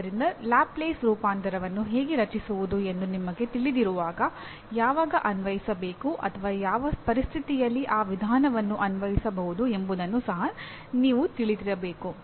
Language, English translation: Kannada, So while you know how to create what do you call find a Laplace transform, you should also know when to apply or in what situation that procedure can be applied